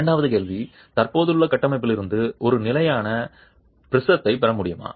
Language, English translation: Tamil, Second question, can you get a standard prism from the existing structure